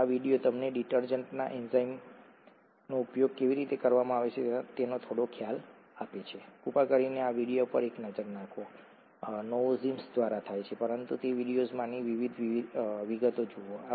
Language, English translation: Gujarati, So this video gives you some idea as to how enzymes are used in detergents, please take a look at this video, it’s by novozymes but look at the the details in that video